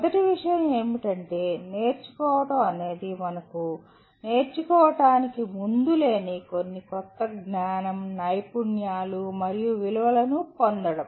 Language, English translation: Telugu, First thing is learning is acquiring some new knowledge, skills and values which we did not have prior to learning